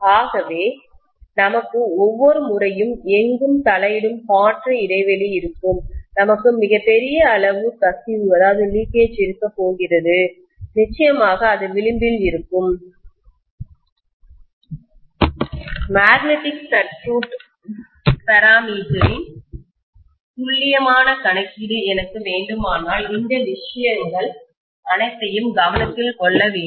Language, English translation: Tamil, So we are going to have every time there is an intervening air gap anywhere, we will have huge amount of leakage, we will have definitely fringing, all these things have to be taken into consideration if I want an accurate calculation of the magnetic circuit parameters, right